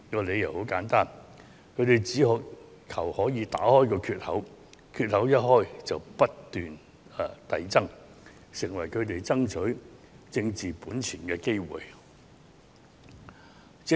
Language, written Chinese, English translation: Cantonese, 理由很簡單，他們只求打開缺口，一打開缺口便可以不斷擴大，成為他們爭取政治本錢的機會。, The reason was simple . They merely wanted to open up a crack and once they had opened up a crack they could keep expanding it and turn it into an opportunity for getting some political leverage